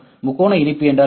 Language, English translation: Tamil, What is triangle mesh